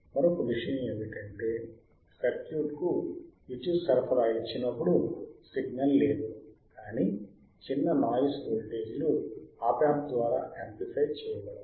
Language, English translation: Telugu, Another point is, when the power supply is given to the circuit, there is no signngleal, byut the small noise voltages aore amplifiedr by the Op amp